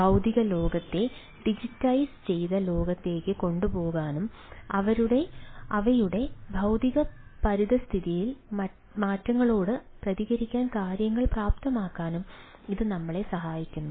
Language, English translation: Malayalam, so it helps us to take the physical ah world to the digitized world and enabling things to respond to change to their physical environment